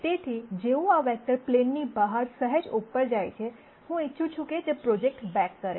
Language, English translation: Gujarati, So, as soon as this vector goes up slightly outside the plane, I want it to be projected back